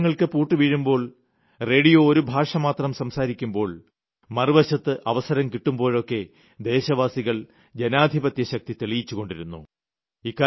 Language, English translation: Malayalam, There might have been locks on newspaper houses, radio might have been speaking just one kind of language, still on the other hand, given the opportune moment, the citizens give an example of the power of Democracy